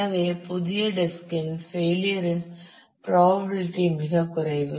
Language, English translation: Tamil, So, the probability of the failure of a new disk is very very low